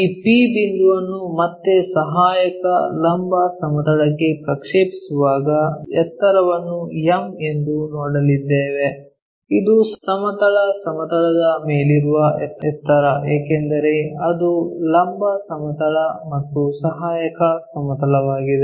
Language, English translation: Kannada, When we are projecting this P point all the way onto this auxiliary vertical plane again the height what we are going to see is m, this is the height above the horizontal plane because it is a vertical plane and auxiliary one